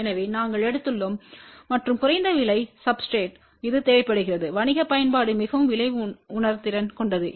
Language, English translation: Tamil, So, we have taken and low cast substrate because this is required for commercial application which is very price sensitive